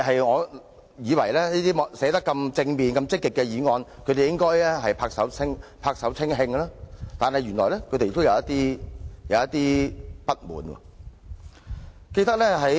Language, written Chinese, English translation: Cantonese, 我以為對於內容這麼正面和積極的議案，他們應會拍手稱慶，但原來他們仍有一些不滿。, I initially thought that such a positive motion would have their applause and appreciation but I have come realize that they are still sort of dissatisfied